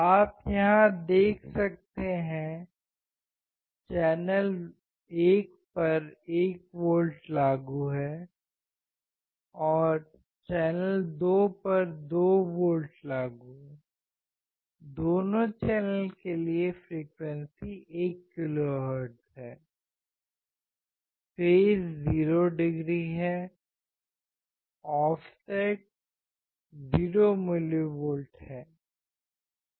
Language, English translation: Hindi, You can see here 1 volts applied to channel 1, 2 volts applied to channel 2, 1 kHz frequency for both the channel, phase is 0 degree, offset is 0 millivolt